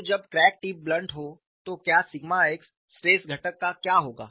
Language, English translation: Hindi, So, when the crack tip is blunt, what would happen to the sigma x stress component